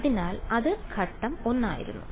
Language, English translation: Malayalam, So, that was step 1